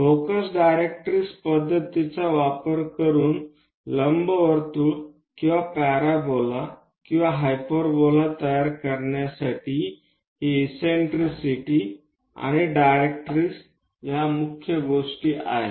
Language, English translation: Marathi, This eccentricity and directrix are the main things to construct an ellipse or parabola or hyperbola using focus directrix method